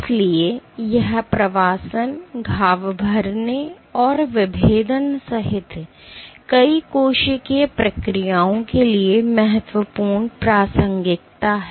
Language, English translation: Hindi, So, it is of key relevance to multiple cellular processes including migration, wound healing and differentiation